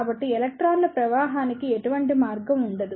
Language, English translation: Telugu, So, there will not be any passage to flow of electrons